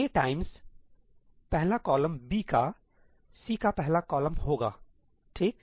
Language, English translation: Hindi, A times the first column of B will be the first column of C